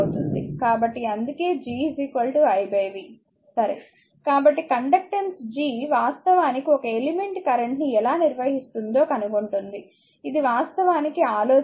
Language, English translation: Telugu, So, the conductance G actually is a measure of how well an element will conduct current, this is actually the idea